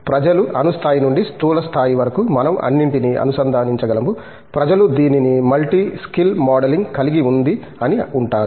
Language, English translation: Telugu, Starting what people, starting from the atomic level to the macro level can we connect everything, what people call it has multi skill modeling